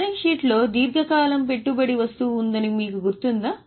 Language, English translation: Telugu, Balance sheet if you remember, there was investment long term